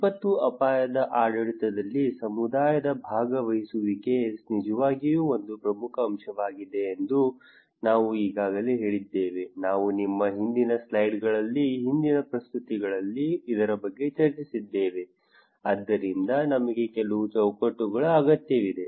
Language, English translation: Kannada, We already told about that community participation is really a key element in disaster risk governance, we discussed about this in our previous slides previous presentations so, what we need that we need some framework